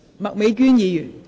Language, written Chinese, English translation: Cantonese, 麥美娟議員，請發言。, Ms Alice MAK please speak